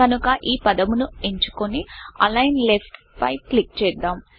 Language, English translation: Telugu, So, lets select the word and click on Align Left